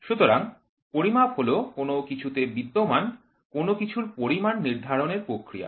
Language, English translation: Bengali, So, measurement is a process of determination of anything that exists in some amount